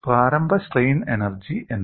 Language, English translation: Malayalam, What is the initial strain energy